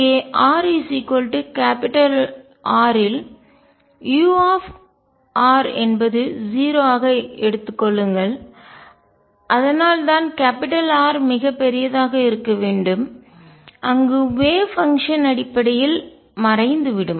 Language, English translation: Tamil, Take u r to be 0 at r equals R and that is why it is important that capital r be very large where wave function essentially vanishes